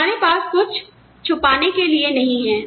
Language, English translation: Hindi, We are nothing to hide